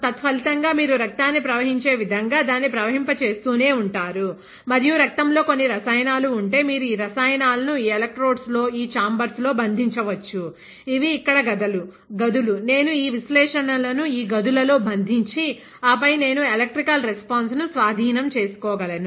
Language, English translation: Telugu, As a result you can keep flowing it, like you can flow blood; and if the blood contains let us say some chemical, you can capture that chemical in these electrodes, in this chambers; these are chambers here, I can capture these analytes in this chambers and then seize there electrical response